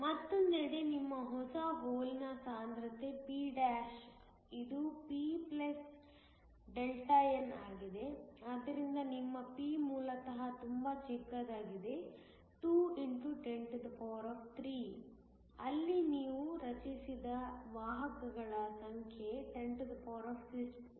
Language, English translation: Kannada, On the other hand, your new hole concentration p′ is p + Δn, but your p originally is very small is 2 x 103 where the number of carriers you have generated is 1015